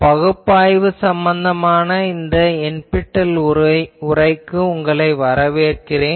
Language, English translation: Tamil, Welcome to this NPTEL lecture on generalized analysis